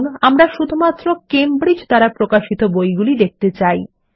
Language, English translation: Bengali, We will retrieve only those books published by Cambridge